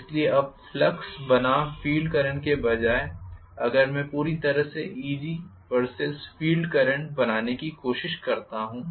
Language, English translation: Hindi, So, rather than now drawing the flux versus field current if I try to completely draw what is Eg versus field current,right